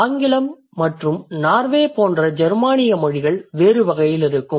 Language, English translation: Tamil, Let's say Germanic languages like English and Norwegian, they are going to be in a different category